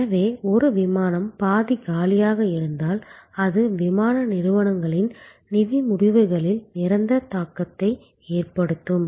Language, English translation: Tamil, So, therefore, if one flight has left half empty that is a permanent impact on the financial results of the airlines